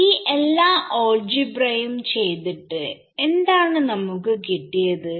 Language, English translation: Malayalam, So, after doing all of this algebra can, what have we gained